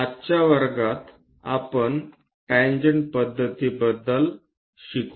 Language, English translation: Marathi, In today's class, we will learn about tangent method